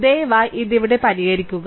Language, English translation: Malayalam, So, please solve this one here